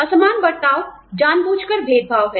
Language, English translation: Hindi, Disparate treatment is intentional discrimination